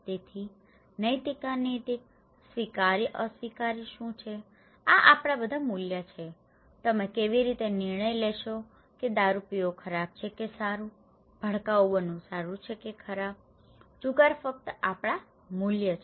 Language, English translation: Gujarati, So, what is ethical unethical, acceptable unacceptable, these are all our values, how do you decide that taking alcohol is bad or good, from being flamboyant is good or bad, gambling is just our values, right, just our values